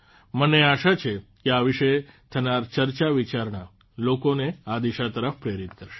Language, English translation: Gujarati, I hope that the discussion about them will definitely inspire people in this direction